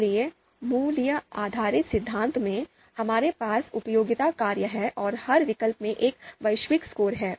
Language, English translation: Hindi, So there in the value based theory, we have utility functions, so every alternative is going to have a global score